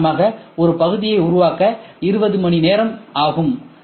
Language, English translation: Tamil, For example, for building up one part, it takes 20 hours